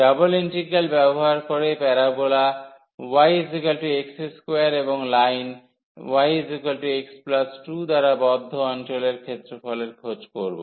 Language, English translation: Bengali, So, here using a double integral find the area of the region enclosed by the parabola y is equal to x square and y is equal to x